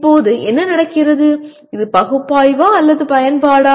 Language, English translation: Tamil, Now what happens is, is that analysis or apply